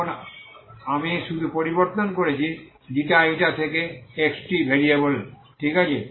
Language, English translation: Bengali, So we are going to integrate over this domain in the ξ , η variables, okay